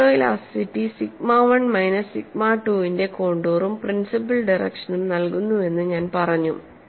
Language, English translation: Malayalam, And I said photo elasticity provides contours of sigma 1 minus sigma 2 as well as principle stress direction